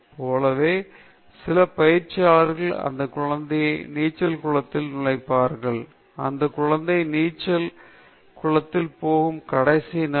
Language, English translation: Tamil, Like, some coaches will just put the child into the swimming pool, into the water; that is a last day the child will go to swimming pool